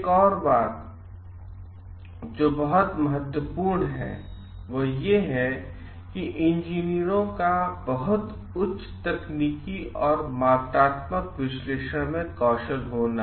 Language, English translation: Hindi, Another thing which is very important is the engineers to have a very high technical and quantitative analysis skill